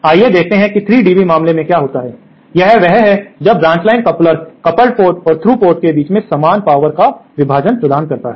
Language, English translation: Hindi, Let us see what happens for a 3 dB case, that is when the branch line coupler provides equal power division between the coupled and the through ports